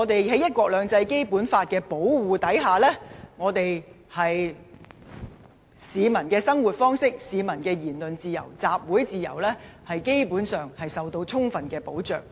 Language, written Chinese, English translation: Cantonese, 在"一國兩制"及《基本法》的保護下，市民的生活方式、言論自由及集會自由，基本上受到充分保障。, Under the protection of one country two systems and the Basic Law the peoples way of life freedom of speech and freedom of assembly are fully protected